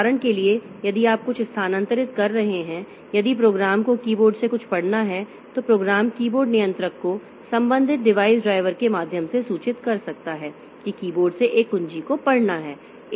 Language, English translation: Hindi, For example, if you are transferring some, if you are trying, if a program wants to read something from the keyboard, then the program may inform the keyboard controller via the corresponding device driver that a key has to be read from the keyboard